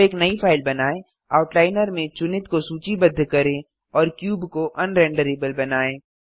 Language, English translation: Hindi, Now create a new file, list selected in the Outliner and make the cube un renderable